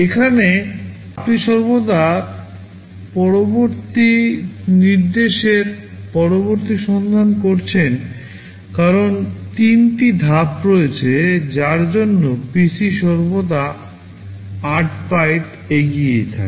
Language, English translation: Bengali, Here you are always fetching the next to next instruction because there are three stages that is why the PC is always 8 bytes ahead